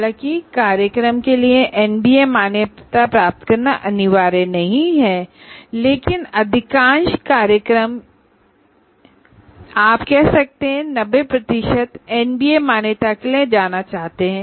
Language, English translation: Hindi, And once again, though it is not compulsory to get the National Board of Accreditation, what you call, NBA accreditation for the program, but majority, you can say 95% of the programs would want to go for NBA accreditation